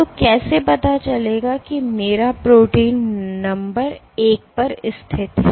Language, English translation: Hindi, So, how will the tip know where my protein is situated number one